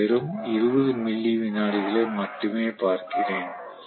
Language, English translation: Tamil, I am looking at just 20 milli second